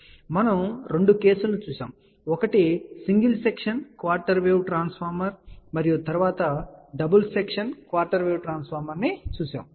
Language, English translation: Telugu, Then we had seentwo cases; one was single section quarter wave transformer and then we had seen double section quarter wave transformer